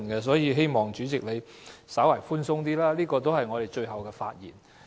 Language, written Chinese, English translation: Cantonese, 所以，我希望主席在處理上可以稍為寬鬆一點，因這是我們最後的發言。, Therefore Chairman I hope you can be a bit more lenient in your handling because these are our last speeches